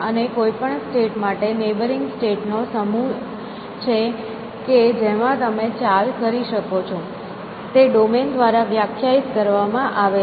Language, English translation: Gujarati, And even any state, there is the set of neighboring state that you can move to, that is define by the domain essentially